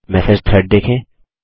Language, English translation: Hindi, What are Message Threads